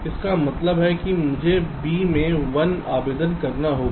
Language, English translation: Hindi, this means that i have to apply a one in b